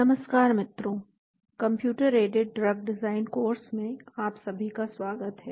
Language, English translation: Hindi, Welcome to the course on Computer Aided Drug Design